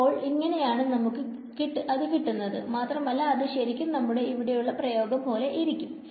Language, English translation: Malayalam, So, that is how we get it and this looks exactly like our expression over here right